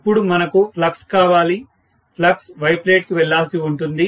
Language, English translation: Telugu, Now what I want is the flux, the flux has to go to the Y plate